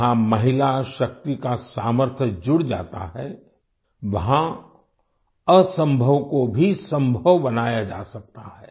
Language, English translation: Hindi, Where the might of women power is added, the impossible can also be made possible